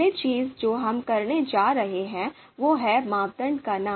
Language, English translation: Hindi, So first thing that we are going to do is, first we will name the criteria